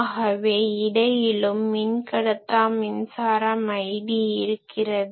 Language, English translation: Tamil, So, there will be also in between dielectric currents i d